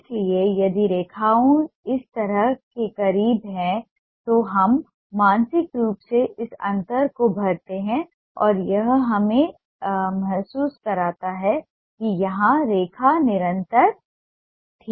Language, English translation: Hindi, so if the lines are as close as this, we fill up this gap mentally and it gives us a feel that the line was continuous here